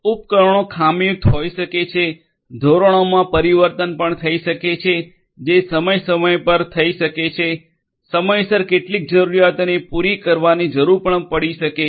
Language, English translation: Gujarati, There may be faulty devices; faulty devices there may be change in standards that might happen from time to time, there maybe a need for catering to some requirements in a timely manner